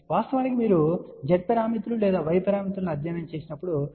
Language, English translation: Telugu, In fact, this has been a general definition you might have studied Z parameters or Y parameters